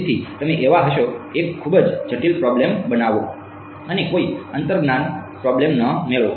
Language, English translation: Gujarati, So, you will be so, make a very complicated problem and get no intuition problem